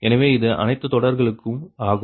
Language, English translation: Tamil, so this is for all of all the lines, right